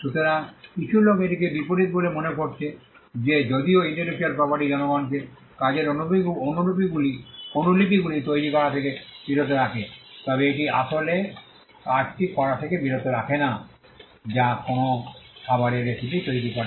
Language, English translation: Bengali, So, some people have found this to be counterintuitive in the sense that though intellectual property only stops people from making copies of the work, it does not actually stop them from doing the real work which is making the recipe of a food item